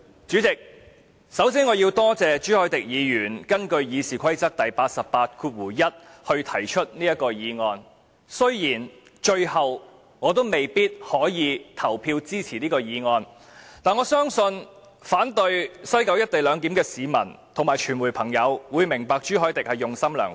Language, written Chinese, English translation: Cantonese, 主席，我首先要感謝朱凱廸議員根據《議事規則》第881條動議議案，雖然我最後未必可以投票支持，但我相信反對在西九龍站實施"一地兩檢"的市民及傳媒朋友會明白朱凱廸議員用心良苦。, President first of all I have to thank Mr CHU Hoi - dick for moving this motion under Rule 881 of the Rules of Procedure RoP . Although eventually I may not vote in support of the motion I believe that members of the public and of the press who oppose the implementation of the co - location arrangement at the West Kowloon Station will understand the good intention of Mr CHU Hoi - dick